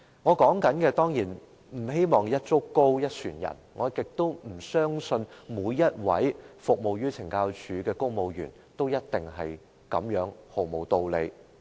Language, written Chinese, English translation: Cantonese, 我當然不希望一竹篙打一船人，我亦不相信每位在懲教署服務的公務員，處事也毫無道理。, Of course I do not hope to make this sweeping accusation . Neither do I believe any civil servants serving in CSD are utterly unreasonable in carrying out their work